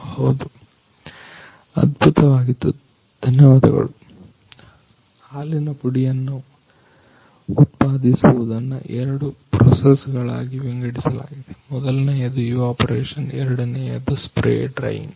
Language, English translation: Kannada, Manufacturing of milk powder is divided in two process; one is evaporation, second one is spray drying